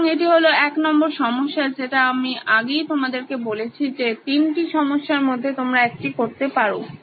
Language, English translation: Bengali, So this is the problem number 1, like I said earlier you can do one of the 3 problems